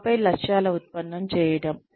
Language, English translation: Telugu, And then, derivation of objectives